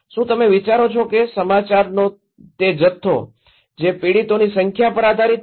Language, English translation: Gujarati, Do you think, that volume of news that depends on number of victims